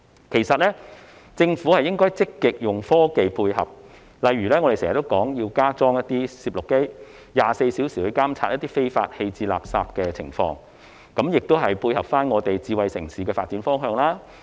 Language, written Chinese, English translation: Cantonese, 其實，政府應積極利用科技配合，例如我們經常建議加裝攝錄機 ，24 小時監察非法棄置垃圾的情況，這亦可配合"智慧城市"的發展方向。, In fact the Government should take the initiative to make use of technology . For instance we have constantly proposed the installation of video cameras to monitor fly - tipping round the clock . This can also complement the direction of development into a smart city